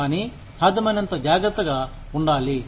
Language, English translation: Telugu, But, we need to be, as careful as, possible